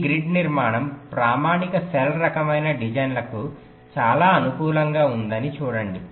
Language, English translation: Telugu, see, this grid structure is very suitable for standard cell kind of designs